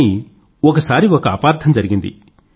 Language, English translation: Telugu, But yes once a misunderstanding crept up